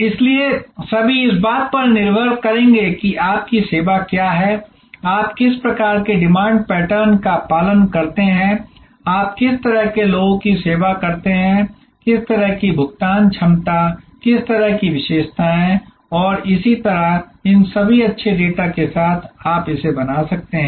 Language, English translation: Hindi, So, all will depend on what is your service what kind of demand patterns you observe, what kind of people you serve with, what kind of paying capacity, what kind characteristics and so on, with all these good data you can, then create this graph and then you can create this fences